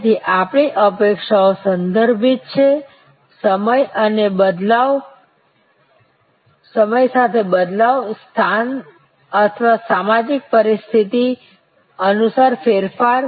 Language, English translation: Gujarati, So, our expectations are contextual, the change over time, the change according to location or social situation